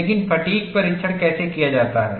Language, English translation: Hindi, But how the fatigue test is done